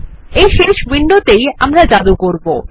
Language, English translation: Bengali, This final window is where we will do the magic